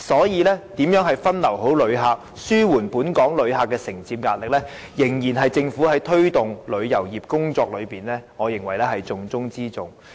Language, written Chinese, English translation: Cantonese, 因此，如何分流旅客，以紓緩本港承接旅客的壓力，我認為仍然是政府在推動旅遊業工作中的重中之重。, Hence in my view the diversion of visitors to alleviate Hong Kongs pressure in receiving visitors remains the most important task of the Government in promoting the development of tourism industry